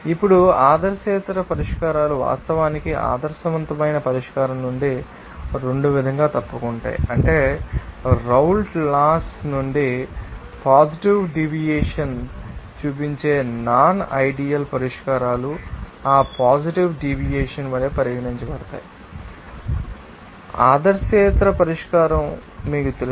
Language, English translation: Telugu, Now, nonideal solutions actually deviate from that ideal solution in 2 way that is that nonideal solutions that will be showing positive deviation from the Raoult’s Law be regarded as that you know, positive deviated, you know that nonideal solution